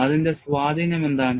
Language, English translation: Malayalam, And what is its influence